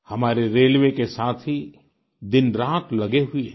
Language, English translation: Hindi, Our railway personnel are at it day and night